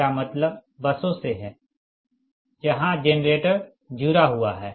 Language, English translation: Hindi, i mean buses where generators are connected right